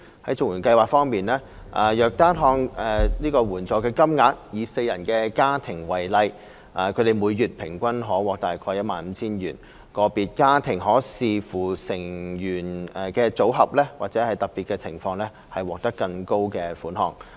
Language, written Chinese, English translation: Cantonese, 在綜援計劃方面，若單看援助金額，以四人家庭為例，他們每月平均可獲約 15,000 元，個別家庭可視乎成員的組合或特別情況獲得更高的款項。, In respect of the CSSA Scheme if we look at the amount of assistance payments alone the monthly amount payable to a four - person household for example is around 15,000 on average more for certain families depending on the family composition or under special circumstances